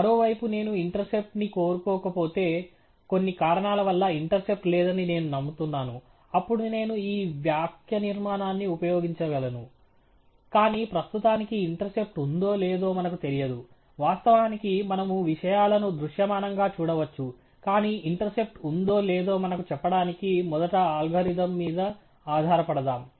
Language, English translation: Telugu, On the other hand, if I do not want to the intercept term for some reason I believe there is no intercept term then I could use this syntax, but at the moment we do not know if there is an intercept or not; of course, we can look at things visually, but let us rely on the algorithm first to tell us if there is an intercept